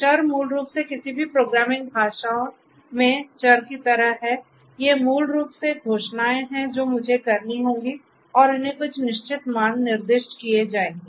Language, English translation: Hindi, Variables are basically like the variables in any programming languages, these are basically declarations that I that will have to be done and these will be assigned certain values right